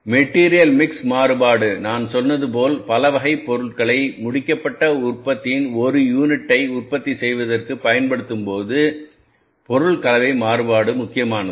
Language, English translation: Tamil, So, it means this mix variance is more important in the manufacturing sector where the multiple materials are used to the one unit of the finished product